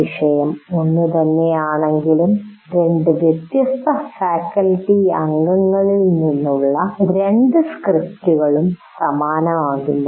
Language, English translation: Malayalam, So no two scripts, subject matter may be the same, but no two scripts from two different faculty members will be identical